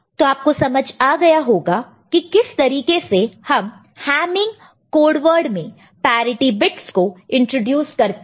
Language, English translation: Hindi, Is it clear how are how we are introducing the parity bits in the code word hamming code